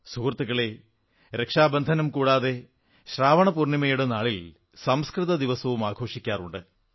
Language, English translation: Malayalam, Friends, apart from Rakshabandhan, ShravanPoornima is also celebrated as Sanskrit Day